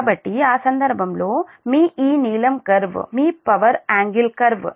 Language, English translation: Telugu, so in that case, your, this blue curve is the your power, power, power angle curve